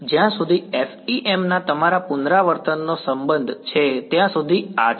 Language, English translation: Gujarati, So, this is as far as your revision of FEM was concerned